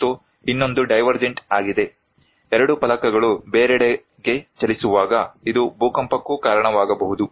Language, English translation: Kannada, And another one is the divergent one, when two plates are moving apart, this can also cause earthquake